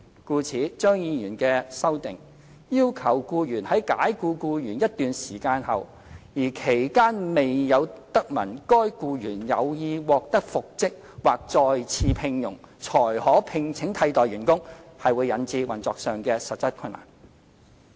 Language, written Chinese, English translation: Cantonese, 故此，張議員的修正案要求僱主在解僱僱員一段時間後，而期間未有得聞該僱員有意獲得復職或再次聘用，才可聘請替代員工，會引致運作上的實質困難。, As such by demanding the employer to engage a replacement only after the lapse of a certain period without having heard from the employee the wish to be reinstated or re - engaged Dr CHEUNGs amendments will incur practical operational difficulties